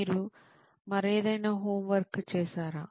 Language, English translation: Telugu, Have you done any other homework